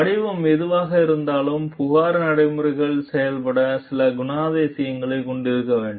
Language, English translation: Tamil, Whatever be there form, the complaint procedures must have certain characteristics to work